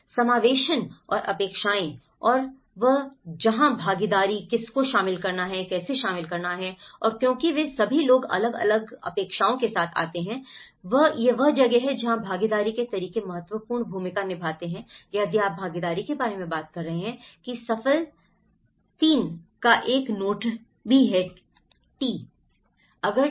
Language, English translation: Hindi, Inclusion and expectations and that is where the participation, whom to include, how to include and because they have all different expectations and this is where the participatory methods play an important role if you are talking about participation that there is also a note of successful 3 T’s